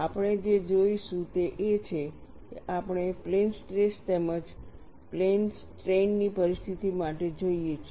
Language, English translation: Gujarati, We look at for plane stress as well as for plane strains situation